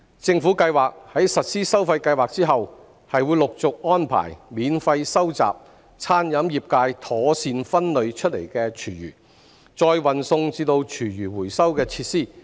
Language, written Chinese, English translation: Cantonese, 政府計劃在實施收費計劃後，陸續安排免費收集餐飲業界妥善分類出來的廚餘，再運送至廚餘回收設施。, The Government plans to arrange free collection and delivery of food waste properly separated from the catering trade to food waste recycling facilities progressively upon the implementation of the charging scheme